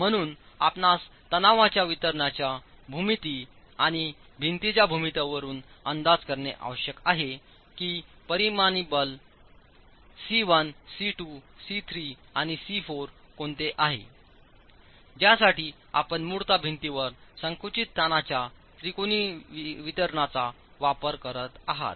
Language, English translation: Marathi, So you need to be able to make an estimate from the geometry of the distribution of stresses and the geometry of the wall what the resultant forces C1, C2, C3 and C4 are for which you basically making use of the triangular distribution of compressive stresses in the wall